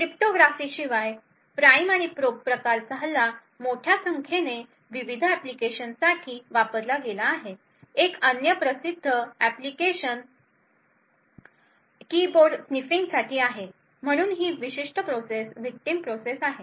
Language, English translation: Marathi, Besides cryptography the prime and probe type of attack have been used for a larger number of different applications, one other famous application is for keyboard sniffing, so this particular process is the victim process